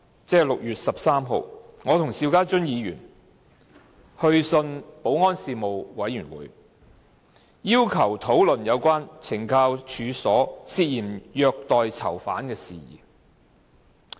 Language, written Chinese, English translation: Cantonese, 在6月13日，我和邵家臻議員去信保安事務委員會，要求討論有關懲教所涉嫌虐待囚犯的事宜。, On 13 June Mr SHIU Ka - chun and I wrote to the Panel on Security requesting discussion on the suspected abuse of offenders in correctional institutions